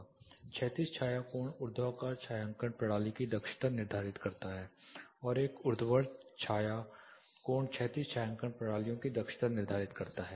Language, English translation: Hindi, Horizontal shadow angle determines the efficiency of vertical shading system, and a vertical shadow angle determines the efficiency of horizontal shading systems